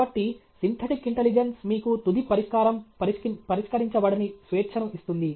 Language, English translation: Telugu, So, the synthetic intelligence, let’s say, gives you the freedom that the solution finally is not fixed